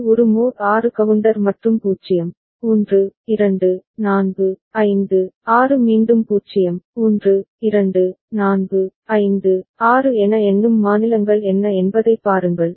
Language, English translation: Tamil, See it is a mod 6 counter and what are the counting states 0, 1, 2, 4, 5, 6 again 0, 1, 2, 4, 5, 6